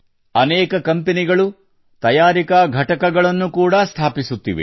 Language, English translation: Kannada, Many companies are also setting up manufacturing units